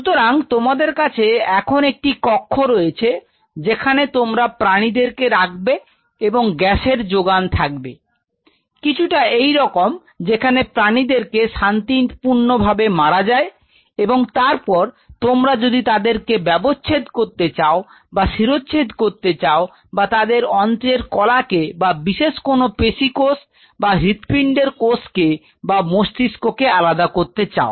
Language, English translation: Bengali, So, and you have to have a chamber this kind of a chamber like you know where you keep the animal, and you have to have a gas supply something like this and we allow the animal to have a peaceful death and then whatever way you wanted to dissect it out or you decapitating the head or you wanted to remove some kind of a gut tissue or some kind of muscle or you wanted to do a isolate the cardiac tissue you want to isolate the brain